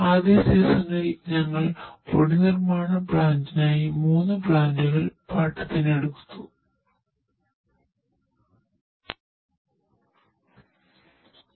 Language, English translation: Malayalam, Now in first season we will lease plant 3 lease plant for powder manufacturing plant